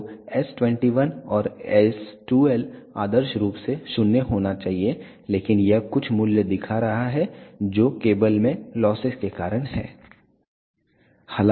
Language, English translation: Hindi, So, s 21 and s 12 ideally it should be 0, but it is showing some value which is because of the losses in the cable